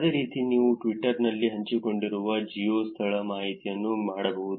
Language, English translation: Kannada, Similarly, you can do the geo location information shared on Twitter